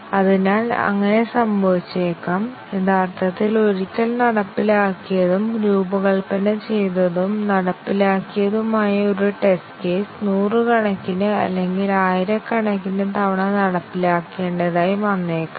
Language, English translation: Malayalam, So, it may so happen that, a test case which was originally executed once, designed and executed, may have to be executed hundreds or thousands of times